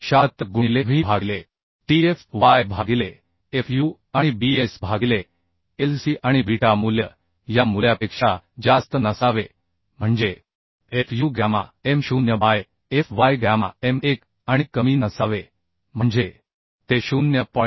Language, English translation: Marathi, 076 into w by t into fy by fu into bs by Lc right and this should be less than or equal to this beta should be less than or equal to fu gamma m0 by fy gamma m1 and should be greater than or equal to 0